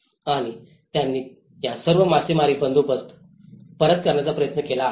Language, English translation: Marathi, And they have tried to move back all these fishing settlements